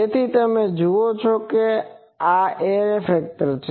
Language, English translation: Gujarati, So, you see this is the array factor